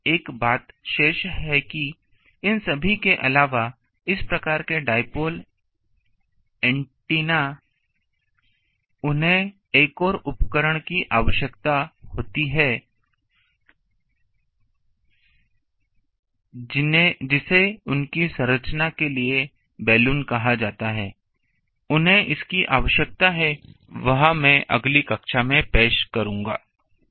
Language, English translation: Hindi, But one thing is remaining that also apart from all these antenna with this type of ah um dipole antennas, they need another um device which is called bellan for their structure, they need it that I will introduce in the next class